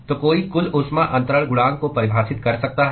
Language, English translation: Hindi, So, one could define overall heat transfer coefficient